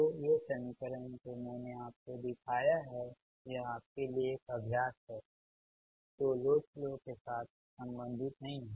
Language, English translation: Hindi, so these equation, whatever i have showed you, this is an exercise for you, nothing to related load flow